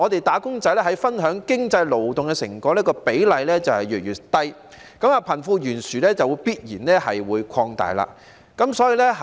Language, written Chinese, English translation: Cantonese, "打工仔"分享經濟勞動成果的比例越來越低，貧富懸殊就必然會擴大。, When wage earners receive a decreasing share of the economic fruits of their labour wealth disparity will inevitably widen and the unequal primary distribution has remained for years